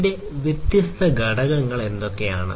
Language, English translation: Malayalam, So, what are the different components of it